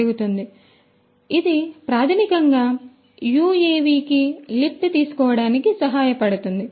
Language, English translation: Telugu, And, this basically will help this UAV to take the lift